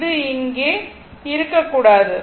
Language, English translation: Tamil, This should not be there